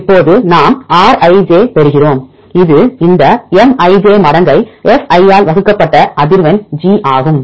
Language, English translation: Tamil, Now we get the Rij this is the value we get logarithm of this Mij divided by fi this frequency of G